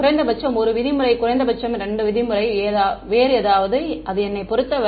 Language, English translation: Tamil, Minimum 1 norm, minimum 2 norm something else, it's up to me